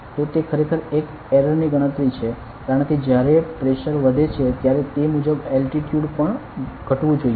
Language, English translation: Gujarati, So, it is the calculation an error, because when the pressure increases accordingly the altitude should also decrease correctly